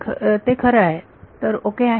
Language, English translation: Marathi, So, this is actually ok